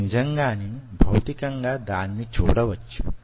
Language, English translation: Telugu, you really can physically see it